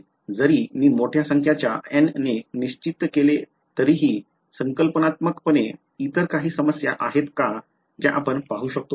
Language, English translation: Marathi, Even if I fix a large number of N, is there any other problem conceptually that you can see